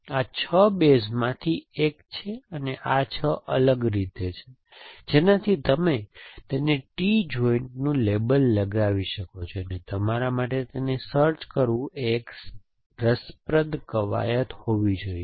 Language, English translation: Gujarati, This is one of the 6 base and there are 6 different ways you can label it T joint and it should be a interesting exercise for you to try and find this out